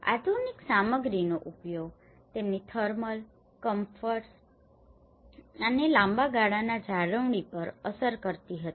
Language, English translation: Gujarati, The usage of modern materials also had an impact on their thermal comforts and the long run maintenance